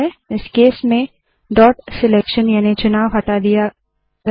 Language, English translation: Hindi, In this case, dot selection has been removed